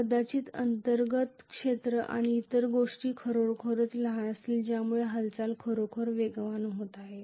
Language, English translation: Marathi, Maybe the inner sphere and other things will be really really small because of which the movement is taking place really really fast